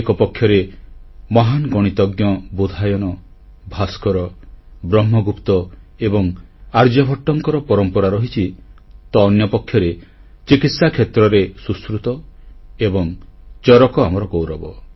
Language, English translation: Odia, On the one hand, there has been a tradition of great Mathematicians like Bodhayan, Bhaskar, Brahmagupt and Aryabhatt; on the other, in the field of medicine, Sushrut & Charak have bestowed upon us a place of pride